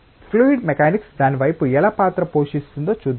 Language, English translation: Telugu, And let us see that how fluid mechanics plays a role towards that